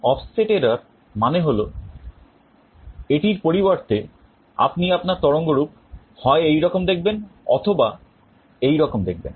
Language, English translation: Bengali, Well offset error means instead of this you may see that your waveform is either like this or like this